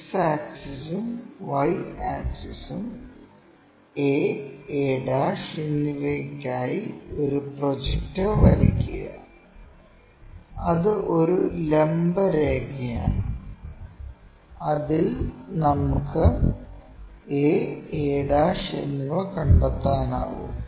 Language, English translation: Malayalam, X axis and Y axis, draw a projector for a and a ' that is a vertical line, on which we can locate a ' and a